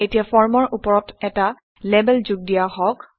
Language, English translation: Assamese, Now, let us add a label above the form